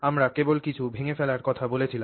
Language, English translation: Bengali, So, we spoke only about breaking something down